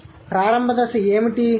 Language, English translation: Telugu, So, what was the initial stage